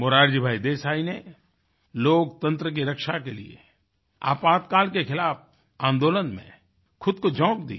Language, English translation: Hindi, To save democracy, Morarji Desai flung himself in the movement against imposition of Emergency